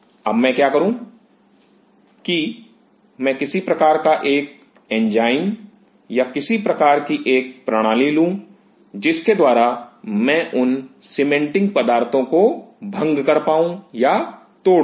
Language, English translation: Hindi, Now what I do I take some kind of an enzyme or some kind of a system by which I break down or chew away those cementing materials